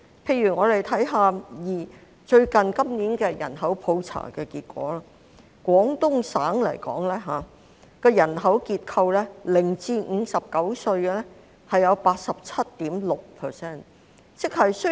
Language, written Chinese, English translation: Cantonese, 例如，我們看看今年的人口普查結果，廣東省的人口結構，零歲至59歲的佔 87.6%。, For example if we look at the results of this years population census the demographic structure of the Guangdong Province shows that 87.6 % of the population aged 0 to 59